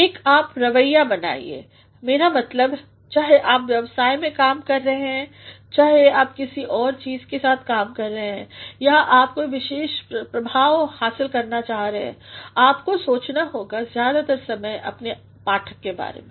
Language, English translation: Hindi, Cultivate a you attitude; I mean whether you are working for business or you are working for something else or you are trying to achieve a particular effect, you must think most of the time about your readers